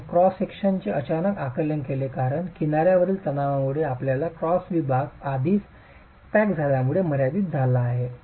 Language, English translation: Marathi, You get sudden buckling of the cross section because the edge compressor stress has given away your cross section is already limited because of cracking